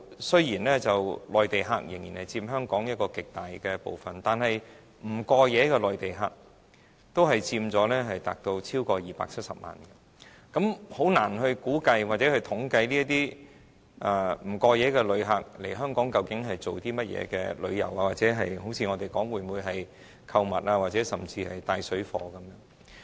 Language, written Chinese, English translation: Cantonese, 雖然現在內地客仍然佔香港遊客極大部分，但不過夜的內地客佔超過270萬人，我們難以估計或統計，究竟這些不過夜旅客來港是做甚麼，是旅遊還是否如我們說，是來購物，甚至是從事"帶水貨"的活動？, While Mainland visitors still take up a vast majority of visitors in Hong Kong there are over 2.7 million same - day arrivals from the Mainland . It is difficult for us to figure out or gather statistics on what these same - day visitors do in Hong Kong . Do they come for sightseeing or as we suppose for shopping or even engaging in parallel trading activities?